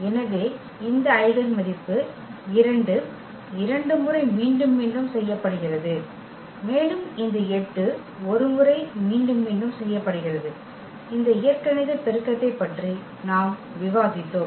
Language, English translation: Tamil, So, this eigenvalue 2 is repeated 2 times and this 8 is repeated 1 times, and exactly that is what we have discussed about this algebraic multiplicity